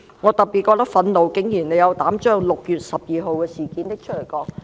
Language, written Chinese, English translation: Cantonese, 我特別覺得憤怒的是，他們竟然斗膽把6月12日的事件提出來談論。, I am particularly angry that they even dare to raise the 12 June incident for discussion